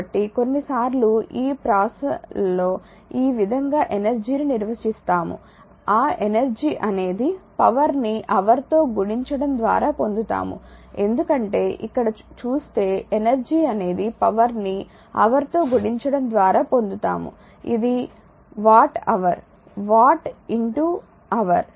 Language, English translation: Telugu, So, sometimes in this rhymes we define energy like this that energy is power multiplied by hour because if you look it that energy is power multiplied by hour because it is a watt hour watt into hour right